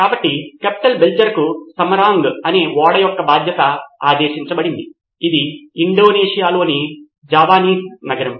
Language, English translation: Telugu, So Captain Belcher was given a command of a ship called Samarang, this is a Javanese city in Indonesia